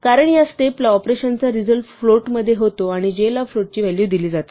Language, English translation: Marathi, Therefore, because the operation results in a float at this point j is assigned the value of type float